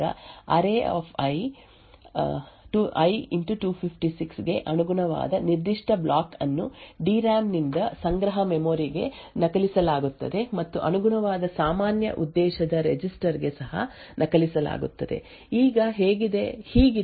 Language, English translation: Kannada, So it would look something like this, when the second statement gets executed a particular block corresponding to array[i * 256] would be copied from the DRAM into the cache memory and also be copied into the corresponding general purpose register, now this is what happens during the normal operation of the program